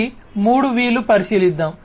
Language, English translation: Telugu, So, these 3 V’s let us consider